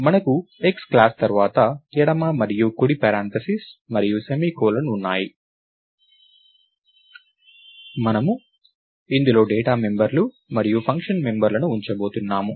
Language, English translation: Telugu, We have class X followed by left and right flower braces and a semicolon, and we are going to put in data mumb members and function members inside this